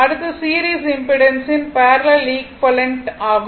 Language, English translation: Tamil, Now, next is that parallel equivalent of a series impedance right